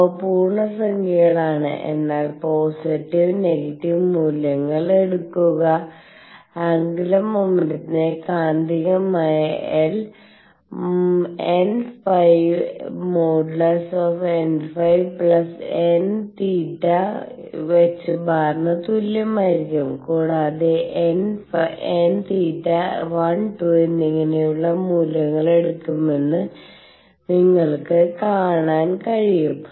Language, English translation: Malayalam, They are integers, but take positive and negative values, L which is the magnitude of angular momentum is going to be equal to n theta plus modulus n phi h cross and you can see that, n theta should take values of 1, 2 and so on